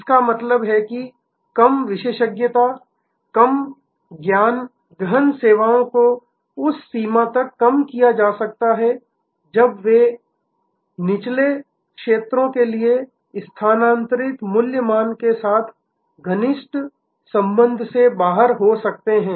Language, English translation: Hindi, That means, the lower expertise, lower knowledge intense services to the extent they could be taken out of the closer connection with the value stream migrated to lower cost areas